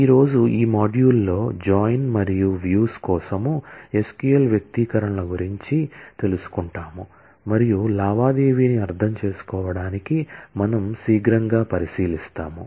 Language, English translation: Telugu, Today, we will, in this module learn about SQL expressions for join and views and we will take a quick look into understanding the transaction